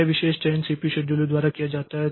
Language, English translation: Hindi, The selection, this particular selection is carried out by the CPU scheduler